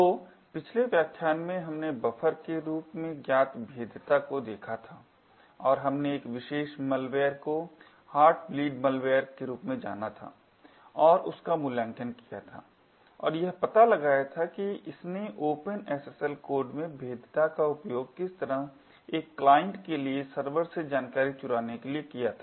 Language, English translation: Hindi, So in the previous lecture we had looked at vulnerability known as Buffer overread and we had looked at a particular malware known as the Heartbleed malware and evaluated it and found out how this had utilised a vulnerability in the Open SSL code to leak secret information from a server to a client